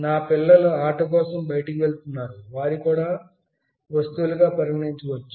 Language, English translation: Telugu, My children are going outside for playing, they can also be treated as objects